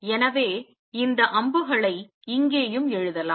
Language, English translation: Tamil, So, I can write these arrows here also